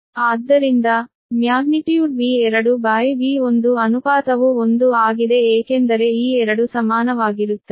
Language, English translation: Kannada, so magnitude v two upon v, one ratio is one, because these two are equal right